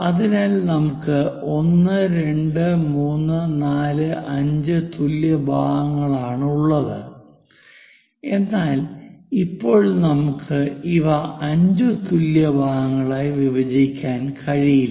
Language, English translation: Malayalam, So, 1, 2, 3, 4, 5 equal parts are there, but now we cannot really divide these equal parts 5 equal parts